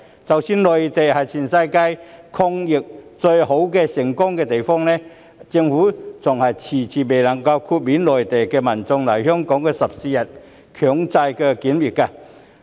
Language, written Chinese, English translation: Cantonese, 即使內地是全世界抗疫最好、最成功的地方，但政府依然遲遲未能夠豁免來港內地民眾的14天強制檢疫。, Although the Mainland is the best and most successful country in the world in the fight against the pandemic the Government has yet to exempt Mainland visitors from the 14 - day compulsory quarantine requirement